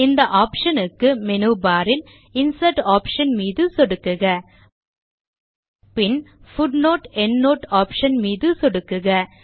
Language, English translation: Tamil, Now click on the Insert option in the menu bar and then click on the Footer option